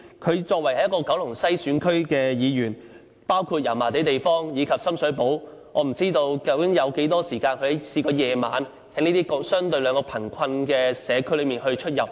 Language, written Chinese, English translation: Cantonese, 她作為九龍西選區的議員，包括油麻地及深水埗，我不知道她究竟有多少個晚上曾在這兩個相對貧困的社區出入。, She is a Member returned in the Kowloon West geographical constituency which includes Yau Ma Tei and Sham Shui Po but I really do not know how many night visits she has paid to these two communities which have a relatively larger number of impoverished people